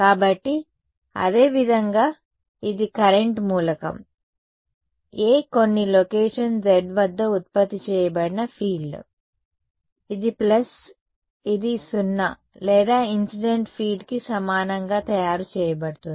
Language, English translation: Telugu, So, similarly this is the field produced by the current element A at some location z, this plus this is what is being made equal to either 0 or the incident field ok